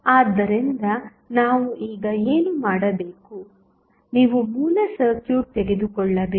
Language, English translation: Kannada, So, what we have to do now, you have to take the original circuit